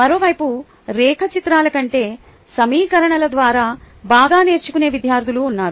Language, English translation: Telugu, on the other hand, there are students who learn better through equations rather than diagrams